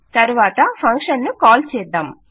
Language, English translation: Telugu, Then we will start to call the function